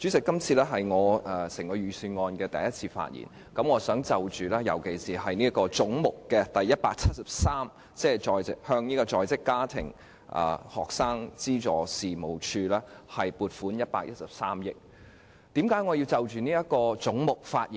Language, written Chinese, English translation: Cantonese, 今次是我就財政預算案第一次發言，我尤其想就總目173項下向在職家庭及學生資助事務處撥款113億元的建議發表意見。, This is the first time that I speak on the Budget and I would like to particularly speak on the proposed provision of 11.3 billion to the Working Family and Student Financial Assistance Agency under head 173